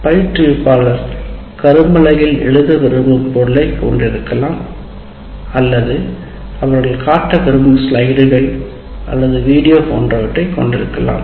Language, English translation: Tamil, Instruction material may consist of the material that instructor wants to write on the board or the slides they want to project or video they want to show, whatever it is